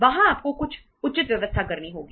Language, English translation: Hindi, There you have to make some proper arrangements